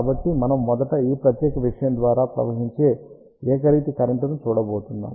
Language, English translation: Telugu, So, we are going to first look at a uniform current which is flowing through this particular thing